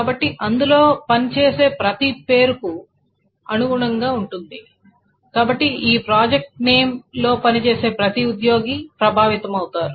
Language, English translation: Telugu, So corresponding to every name who works in that, so every employee who works in that project name gets affected